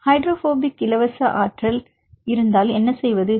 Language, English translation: Tamil, So, how to do if there are hydrogen bonding free energy